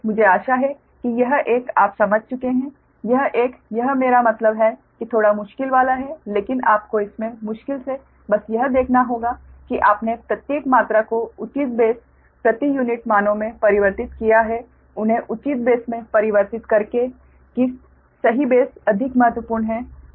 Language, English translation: Hindi, but just, you have to see, with difficult in this is that you have to ah, see that you have transform every quantities in appropriate base per unit values by converting that to the appropriate base